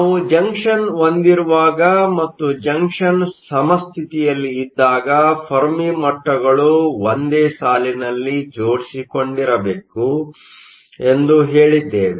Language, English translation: Kannada, Whenever we have a junction and junction is at equilibrium, we said that the Fermi levels must line up